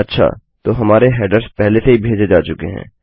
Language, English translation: Hindi, Okay so our headers have already been sent